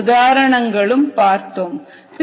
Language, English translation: Tamil, these three are examples